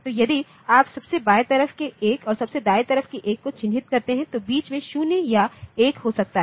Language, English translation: Hindi, So, if you mark the left most occurrence of 1 and the right most occurrence of 1 ok, in between the bits may be 0 or 1 whatever